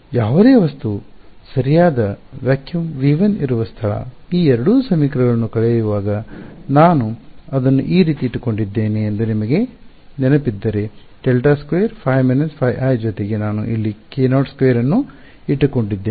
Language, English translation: Kannada, The one where V 1 where there is no object right vacuum; if you remember that when I subtracted these two equations I kept it something like this, del squared phi minus phi i plus I kept k naught squared over here